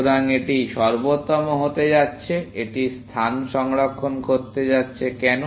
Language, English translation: Bengali, So, it is going to be optimal; it is going to save on space; why